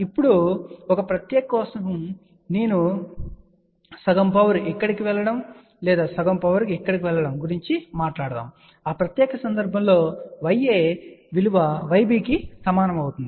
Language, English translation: Telugu, Now, but for a special case I just want to mention for half power going here or half power going here, in that special case Y a actually becomes equal to Y b